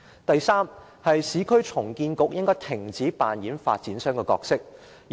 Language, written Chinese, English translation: Cantonese, 第三，市區重建局應該停止扮演發展商的角色。, Third the Urban Renewal Authority URA should cease playing the role of property developer